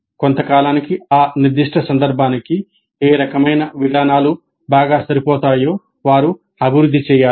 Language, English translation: Telugu, So over a period of time they have to evolve what kind of approaches are best suited for their specific context